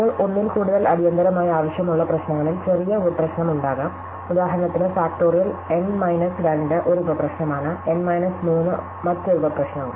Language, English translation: Malayalam, Now, we could have problems which require more than one immediate is smaller sub problem, for instance factorial n minus 2 is also a sub problem, n minus 3 is also a sub problem and so on